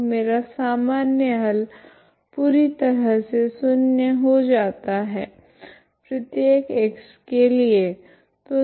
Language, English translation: Hindi, So my general solution becomes 0 completely, okay for every x